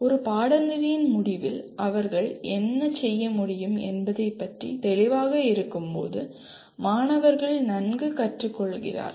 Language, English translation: Tamil, Students learn well when they are clear about what they should be able to do at the end of a course